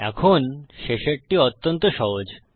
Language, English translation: Bengali, Now, the last one is extremely simple